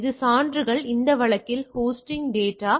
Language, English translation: Tamil, This evidence is the case in this case is the data on the host